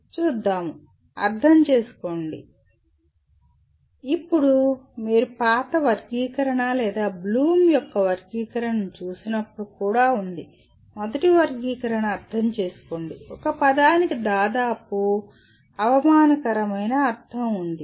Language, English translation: Telugu, Understand, now there is also when you look from the old taxonomy or Bloom’s taxonomy, the first taxonomy, understand is a word is almost has a derogatory meaning